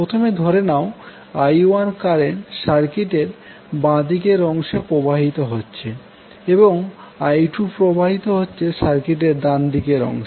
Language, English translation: Bengali, Let us assume that the current I 1 is flowing in the left part of the circuit and I 2 is flowing in the right one of the circuit